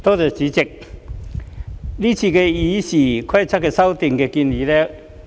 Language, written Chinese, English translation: Cantonese, 代理主席，我整體上支持今次對《議事規則》的修訂建議。, Deputy President I support the proposed amendments to the Rules of Procedure RoP in general